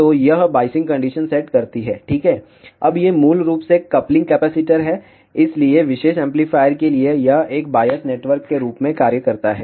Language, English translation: Hindi, Now, these are basically the coupling capacitor, so for this particular amplifier this acts as a biasing network